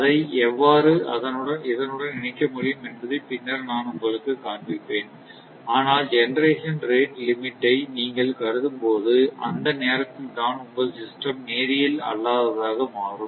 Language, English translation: Tamil, Later, I will show you how it can be incorporated, but it is at that time as soon as you consider that your rate limit, the system will become non linear